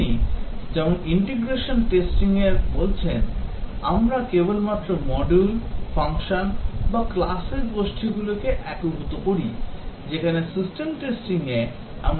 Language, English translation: Bengali, As you are saying in integration testing we just integrate groups of modules,functions or classes, whereas system testing we check the entire system